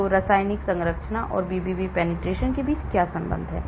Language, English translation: Hindi, So, what is the relationship between the chemical structure and BBB penetration